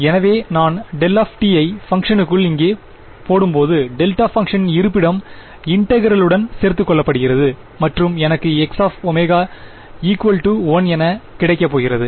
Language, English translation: Tamil, So, if I put delta t into this function over here right the location of the delta function is included in the integral and I am going to get a X of omega equal to 1 right